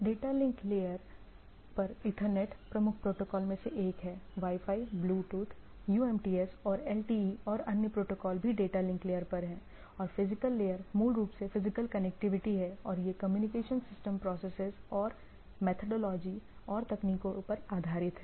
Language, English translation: Hindi, Data link layer, Ethernet is one of the major protocol Wi Fi, Bluetooth, UMTS and LTE and other protocols which are there and a physical layer is basically the physical connectivity and it goes on the communication system processes and methodology and technologies